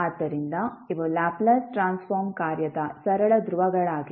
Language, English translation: Kannada, So, these are the simple poles of the Laplace Transform function